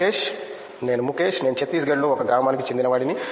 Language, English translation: Telugu, Myself Mukesh, I am from village of Chhattisgarh